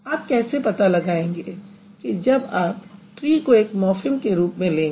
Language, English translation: Hindi, So, if you compare then tree would be called as a free morphem